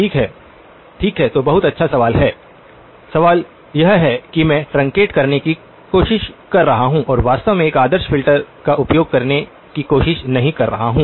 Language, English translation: Hindi, Okay, okay so the very good question, the question is why am I trying to truncate and not try to actually use an ideal filter